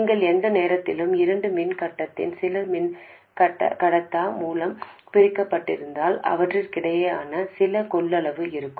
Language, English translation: Tamil, You know that any time you have two conductors separated by some dialectic, there will be some capacitance between them